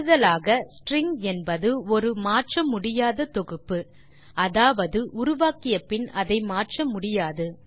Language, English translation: Tamil, In addition string is an immutable collection which means that the string cannot be modified after it is created